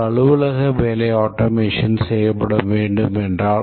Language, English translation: Tamil, Let's say an office work needs to be automated